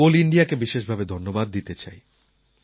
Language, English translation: Bengali, In this context, I would like to specially congratulate Coal India